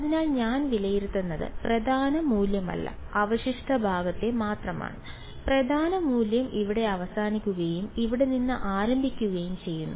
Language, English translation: Malayalam, So, what I am evaluating is only the residue part not the principal value; the principal value ends over here and starts over here right